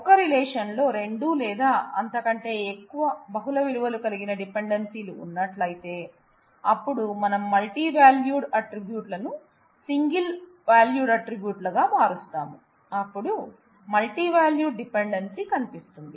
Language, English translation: Telugu, So, if 2 or more multi valued dependencies exist in a relation, then while we convert the we convert multivalued attributes into single valued attributes, then the multi value dependency will show up